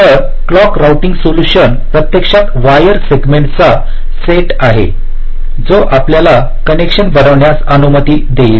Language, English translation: Marathi, ok, so the clock routing solution is actually the set of wire segments that will allow us to make this connection